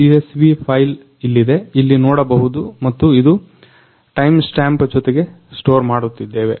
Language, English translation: Kannada, Here is the CSV file as you can see here and it is storing with timestamp